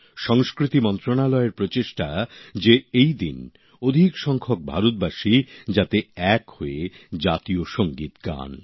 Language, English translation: Bengali, It's an effort on part of the Ministry of Culture to have maximum number of Indians sing the National Anthem together